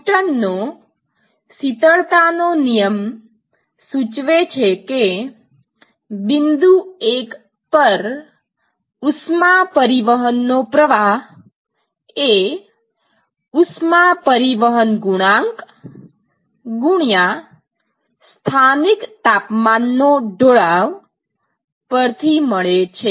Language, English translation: Gujarati, So, Newton’s law of cooling will tell you that the flux of heat transport at location 1 would be given by heat transport coefficient multiplied by the local temperature gradient